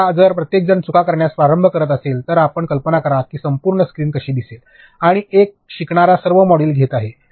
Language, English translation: Marathi, Now, if everybody starts making errors you imagine what the entire screen will look like and all modules one learner will be taking